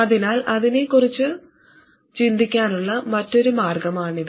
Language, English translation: Malayalam, That's another way to think about it